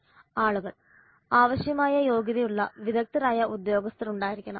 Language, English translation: Malayalam, People there must be well qualified expert personnel required